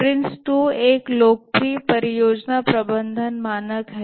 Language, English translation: Hindi, Prince 2 is a popular project management standard